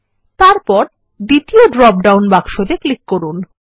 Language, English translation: Bengali, Then we will click on the second dropdown box and then click on the Book Title